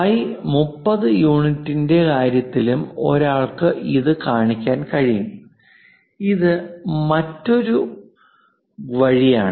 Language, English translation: Malayalam, One can also show it in terms of phi 30 units this is another way